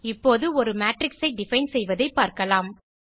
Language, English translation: Tamil, Define a matrix